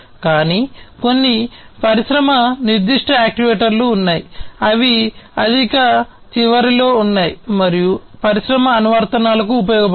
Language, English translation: Telugu, But there are some industry specific actuators that are at the higher end and could be used to serve industry applications